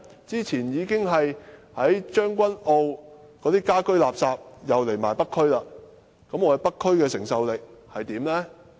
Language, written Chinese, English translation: Cantonese, 早前政府已經把將軍澳的家居垃圾搬到北區處理，北區的承受能力足夠嗎？, Recently the household waste from Tseung Kwan O has been moved to the North District for disposal . Is the North District able to cope with all these?